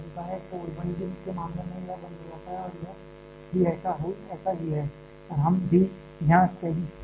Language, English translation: Hindi, So, in case of 1D, this one goes off and so is this one and also we are here being under steady state